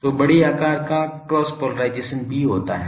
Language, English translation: Hindi, So, sizable cross polarisation also takes place